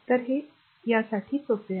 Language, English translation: Marathi, So, this is easy for you right